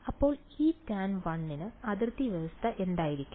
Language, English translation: Malayalam, So, for E tan 1, what would be the boundary condition